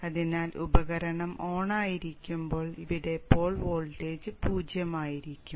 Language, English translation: Malayalam, So when the device is on, the pole voltage here will be zero